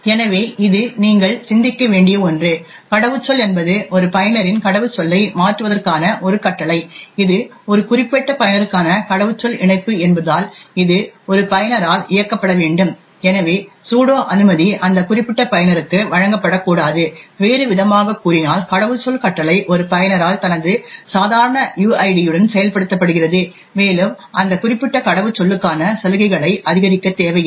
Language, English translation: Tamil, So this is something for you to think about, password is a command that is run by a user to change his or her password, since this is a password link to a particular user, it should be run by a user and therefore the sudo permission should not be given for that particular user, in other words the password command is executed by a user with his normal uid and does not require to escalate privileges for that particular password